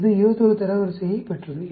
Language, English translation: Tamil, This got the rank 21